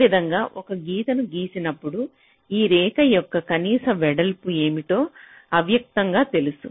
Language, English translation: Telugu, so when i draw a line like this, it is implicitly known that what should be the minimum width of this line